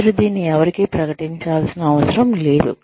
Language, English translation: Telugu, You do not need to announce this to anyone